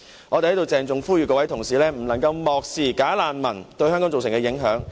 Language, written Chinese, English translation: Cantonese, 我們在這裏鄭重呼籲各位同事不能漠視"假難民"對香港造成的影響。, Here we strongly urge Members not to ignore the impacts of bogus refugees on Hong Kong